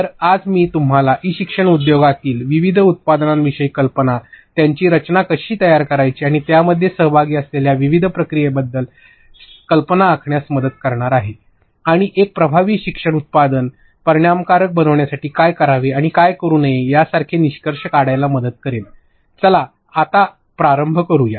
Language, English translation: Marathi, So, today I will be helping you get an idea about different products in the e learning industry, how to design them and different processes involved as well as finally how do you conclude like what are dos what are don'ts to make an effective learning product yeah